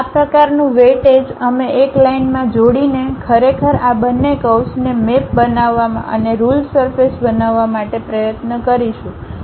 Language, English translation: Gujarati, That kind of weightage we will apply to really map these two curves by joining a line and try to construct a ruled surface